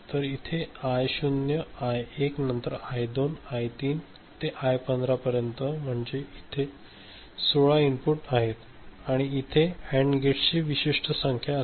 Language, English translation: Marathi, So, this is I naught, I1, then I2, I3 etcetera to I15, so that is 16 inputs are there right; and there are certain number of AND gates